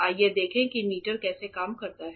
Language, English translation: Hindi, Let us see how the meter works